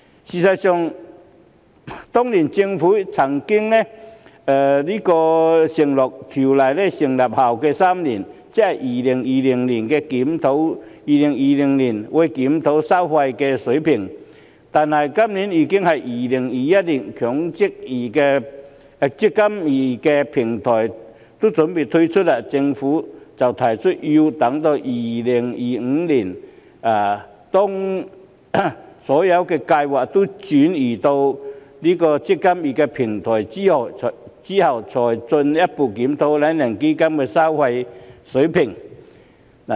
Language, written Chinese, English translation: Cantonese, 事實上，當年政府曾經承諾會在預設投資策略成分基金運作3年後檢討收費水平，但今年已經是2021年，"積金易"平台已準備推出，政府卻提出要到2025年，當所有計劃也轉移到"積金易"平台後，才會進一步檢討"懶人基金"的收費水平。, In fact the Government has undertaken previously to review the fee levels three years after operation of the constituent funds under DIS ie . in 2020 . It is already 2021 now and the eMPF Platform is ready to be launched but the Government has proposed that a further review of the fee levels of the lazybones fund will only be conducted in 2025 when all schemes have migrated to the eMPF Platform